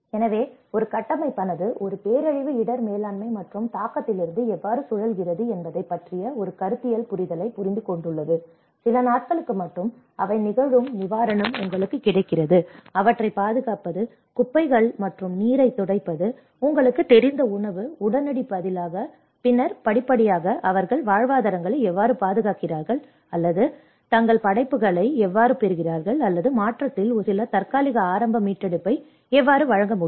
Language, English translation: Tamil, So, a framework have been understood a conceptual understanding how a disaster risk management and response spiral from the impact, you have the relief which happens only for a few days like providing you know securing them, clearing the debris and water, food you know for the immediate, as immediate response and then gradually how they secure the livelihoods or how they get on to their works or how they can provide some temporary early recovery in transition